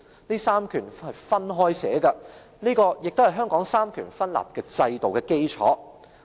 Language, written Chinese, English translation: Cantonese, "這三權是分開寫的，這也是香港三權分立制度的基礎。, The executive legislative and judicial powers are stated separately and this forms the basis of the separation of powers in Hong Kong